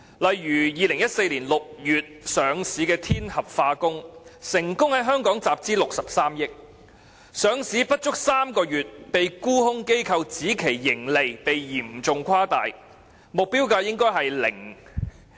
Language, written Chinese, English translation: Cantonese, 例如2014年6月上市的天合化工，成功在香港集資63億元，上市不足3個月便被沽空機構指其盈利被嚴重誇大，目標價應為0元。, For example Tianhe Chemicals Group Limited was listed in June 2014 and has successfully raised a fund of 6.3 billion in Hong Kong . However less than three months after its listing the profit forecasts of the company were rated as overly exaggerated by a company specialized in short selling activities and it was alleged that the target price should be 0